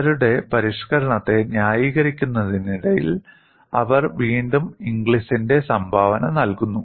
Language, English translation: Malayalam, And while justifying their modification, they again bring in the contribution by Inglis